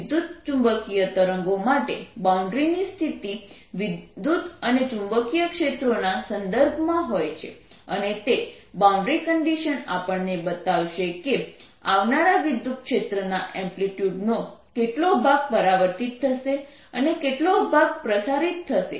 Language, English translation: Gujarati, for electromagnetic waves the boundary conditions are, in terms of electric and magnetic fields, right, and those boundary conditions are going to give us what amplitude of the incoming electric field is going to, what fraction of the incoming electric field is going to be reflected, what fraction is going to be transmitted